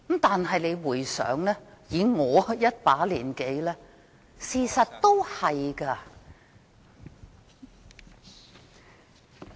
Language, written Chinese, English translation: Cantonese, 但是，以我一把年紀，事實的確是這樣。, That said as a person of my years that is the case